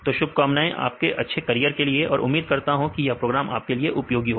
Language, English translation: Hindi, So, our best wishes for your bright career and I hope the program will be useful to you